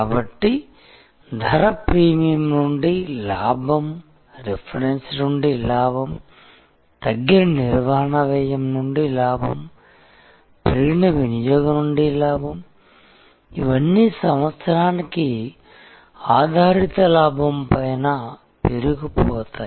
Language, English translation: Telugu, So, profit from price premium, profit from reference, profit from reduced operating cost, profit from increased usage, these are all that piles up on top of the based profit year after year